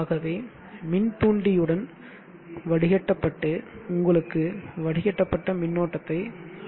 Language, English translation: Tamil, So which one filtered by this inductor will give you a filtered current